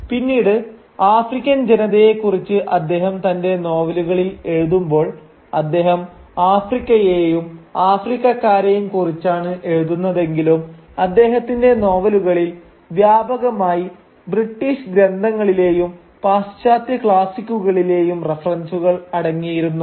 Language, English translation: Malayalam, And later on, when he would write his novels about the African people and though he was writing about Africa and Africans, his novels would be shot through, would be pervaded with references to British texts and Western classics in general